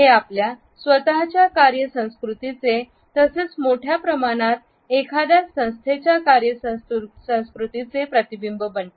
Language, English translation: Marathi, It is also a reflection of our own work culture as well as at a larger scale it becomes a reflection of the work culture of an organization